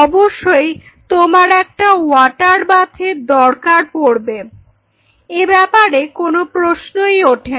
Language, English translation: Bengali, So, definitely will be needing on water bath that is for sure there is no question on that